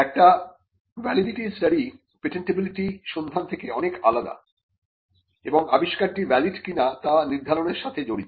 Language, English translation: Bengali, A validity study is much different from a patentability search, and it involves determining whether an invention is valid or not